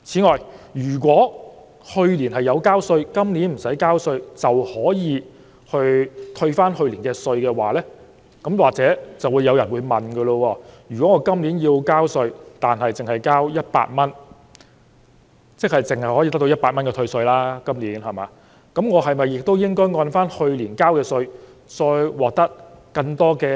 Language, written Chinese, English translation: Cantonese, 假如去年要繳稅但今年不用繳稅的市民可獲得去年稅款的退稅，有人便會問，他今年要繳稅100元，即今年只可得到100元退稅，那麼，他是否應該按去年所繳稅額而獲得更多退稅？, All these are possible reasons and we cannot generalize the situation . Let us assume that a person who had to pay tax last year but is not taxable this year can get a tax rebate for the tax that he paid last year . Someone will then ask He has to pay 100 of tax this year and that means he can only get a tax rebate of 100 but should he be entitled to a higher amount of tax rebate based on the tax amount paid by him last year?